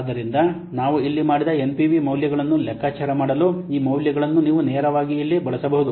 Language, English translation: Kannada, So these values you can use directly here to compute the NPV values that we have done here